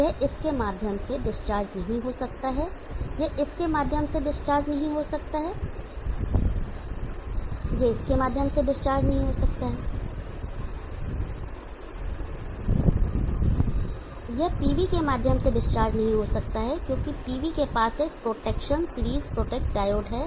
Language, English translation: Hindi, How do you discharge the CT, the CT has no discharge power it cannot discharge through this, it cannot discharge through this, it cannot discharge through this, it cannot discharge through this, it cannot discharge through the PV because PV is having a protection series protect diode